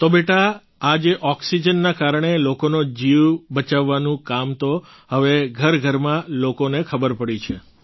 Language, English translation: Gujarati, So beti, this work of saving lives through oxygen is now known to people in every house hold